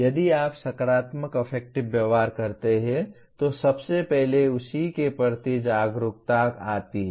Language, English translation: Hindi, That is if you are a positive affective behavior first gets reflected as awareness of that